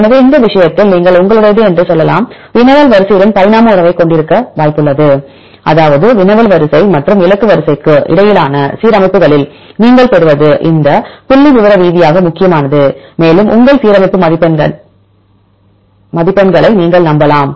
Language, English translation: Tamil, So, in this case you can say that your alignment likely to have evolutionary relationship with the query sequence; that means, what you obtain in the alignments between the query sequence and the target sequence right this statistically significant and you can rely on your alignment score